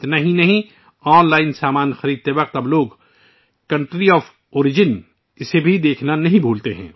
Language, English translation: Urdu, Not only that, nowadays, people do not forget to check the Country of Origin while purchasing goods online